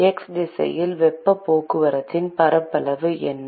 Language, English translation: Tamil, what is the area of heat transport in x direction